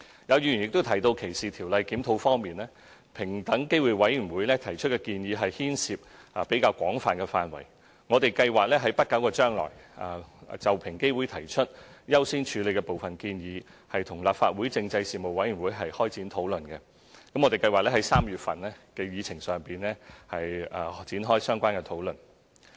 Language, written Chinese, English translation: Cantonese, 有議員亦提到歧視條例的檢討，平等機會委員會提出的建議牽涉範圍廣泛，我們計劃在不久將來就平機會提出優先處理的部分建議，與立法會政制事務委員會開展討論，我們計劃在3月份的議程上提出展開相關討論。, The recommendations made by the Equal Opportunities Commission EOC cover a wide area . We plan to commence discussion in the near future with the Panel on Constitutional Affairs of the Legislative Council on some of the recommendations to which EOC has proposed according priority . We plan to bring up the relevant issue for discussion on the agenda in March